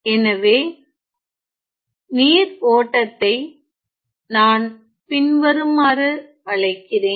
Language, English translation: Tamil, So, let me call that the flow of the water is as follows